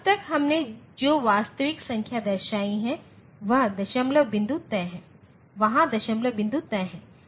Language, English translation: Hindi, So far, whatever representation of a real numbers we have shown the decimal point was fixed